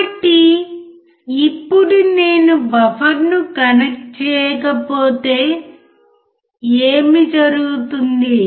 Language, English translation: Telugu, So now if I do not connect buffer then what will happen